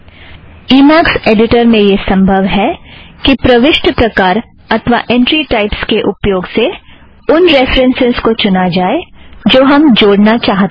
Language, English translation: Hindi, In Emacs editor, it is possible to use the entry types to choose a reference that we want to add